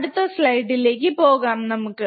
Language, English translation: Malayalam, So, we go to the next slide, what is the next slide